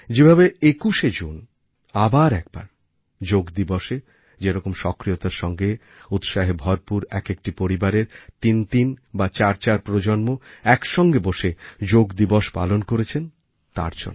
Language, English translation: Bengali, On 21st June, once again, Yoga Day was celebrated together with fervor and enthusiasm, there were instances of threefour generations of each family coming together to participate on Yoga Day